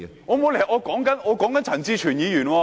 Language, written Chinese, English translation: Cantonese, 我沒有離題，我在談論陳志全議員。, I have not strayed from the question . I am talking about Mr CHAN Chi - chuen